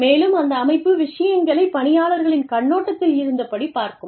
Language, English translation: Tamil, And, that is looking at things, from the perspective of the employees